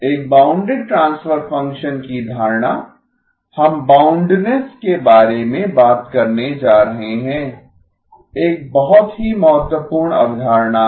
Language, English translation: Hindi, The notion of a bounded transfer function, we are going to be talking about boundedness, is a very important concept